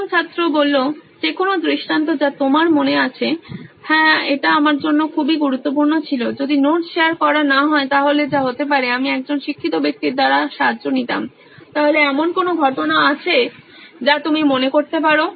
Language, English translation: Bengali, Like Any instance that you remember, yes this was very important for me, if sharing of notes didn’t happen which can be…I would have helped by a learned person, so is there any instance you can think of